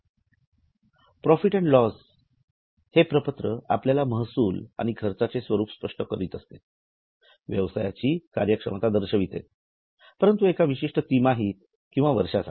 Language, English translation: Marathi, The profit and loss statement essentially gives you revenues and cost performance but for a particular quarter or a year